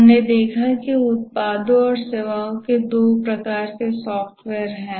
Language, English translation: Hindi, We have seen that there are two types of software, the products and the services